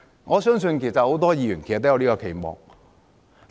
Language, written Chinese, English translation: Cantonese, 我相信很多議員都有這個期望。, I believe many Members also look forward to this